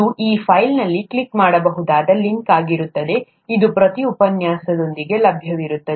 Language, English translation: Kannada, This would be a clickable link in that file, it will be available with every lecture